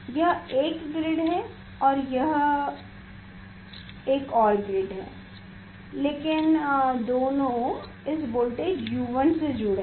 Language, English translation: Hindi, this is one grid, and this is another grid, but both are connected with this voltage U 1